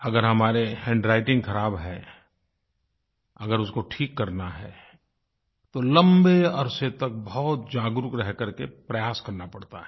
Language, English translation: Hindi, If we have bad handwriting, and we want to improve it, we have to consciously practice for a long time